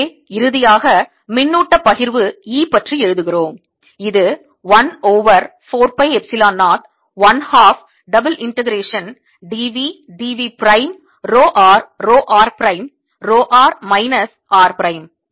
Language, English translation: Tamil, so if final expression for the energy than comes out to be one over four pi epsilon zero, one half integration row are row r prime over r minus r prime, d r d r prime